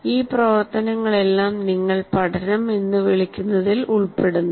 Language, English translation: Malayalam, So all these activities are involved in what you call learning